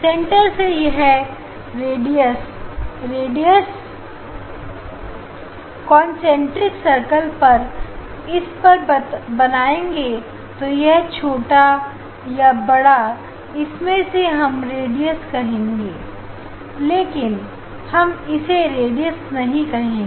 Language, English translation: Hindi, From the center this radius, radius of the concentric circle drawn on the its the yeah is the more or less we can say the radius, but it s a difficult to say the radius